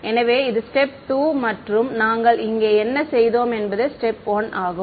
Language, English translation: Tamil, So, this was step 2 and what we did over here was step 1